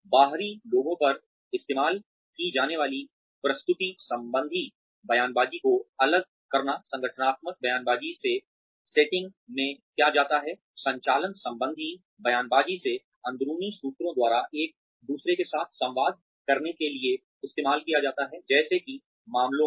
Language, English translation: Hindi, Separate the presentational rhetoric used on outsiders to speak of, what goes on in the setting from the organizational rhetoric, from the operational rhetoric, used by insiders to communicate with one another, as to the matters at hand